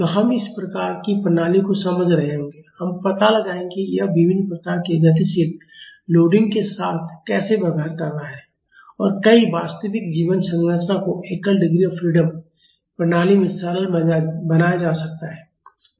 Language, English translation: Hindi, So, we will be understanding these type of system, we will find out how it is behaving with various type of dynamic loading and many real life structures can be simplified into a single degree of freedom system